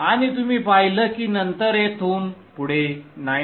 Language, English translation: Marathi, And you observe that later on around here after the 9